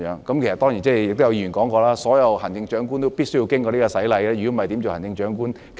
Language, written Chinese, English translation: Cantonese, 當然，亦有議員說過，所有行政長官都必須經過這個洗禮，否則怎樣做行政長官？, According to a Member this is a baptism that every Chief Executive has to go through in order to serve in office